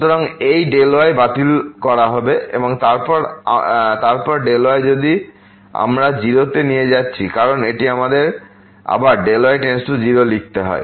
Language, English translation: Bengali, So, this delta will be cancelled here, and then delta if we are taking to 0 because this is let us write down again delta to 0